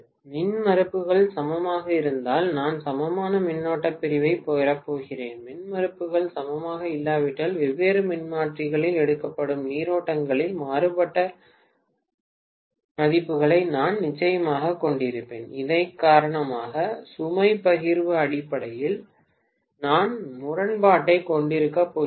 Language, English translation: Tamil, If the impedances are equal then I am going to have equal current division, if the impedances are not equal I will have definitely different values of currents being taken by different transformers because of which I am going to have discrepancy in terms of load sharing